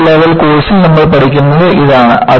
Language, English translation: Malayalam, And, this is what, you learn in the first level course